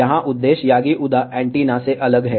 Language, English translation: Hindi, Here, purpose is different than the yagi uda antenna